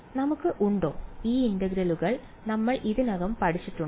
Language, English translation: Malayalam, Do we have; have we learned anything already which helps us to evaluate these integrals